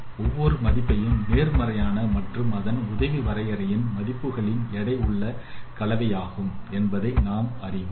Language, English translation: Tamil, You can see that every value is a positive and it is a weighted combination of the neighboring values